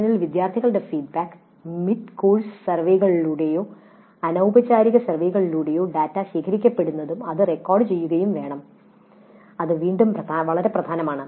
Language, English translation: Malayalam, Then student feedback during the session through mid course surveys or through informal surveys that data is collected and that also must be recorded